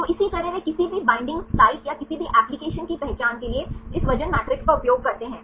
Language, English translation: Hindi, So, likewise they use this weight matrix for identifying any binding sites or any applications